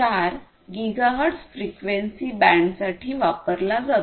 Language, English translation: Marathi, 4 gigahertz frequency band